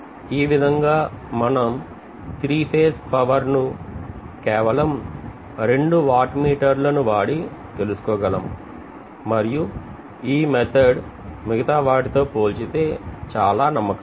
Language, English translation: Telugu, So we able to measure the three phase power just by using two watt meters here and this is one of the most reliable methods as far as the three phase system is concerned